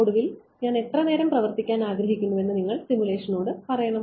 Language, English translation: Malayalam, Then finally, you have to tell the simulation that how long do I wanted to run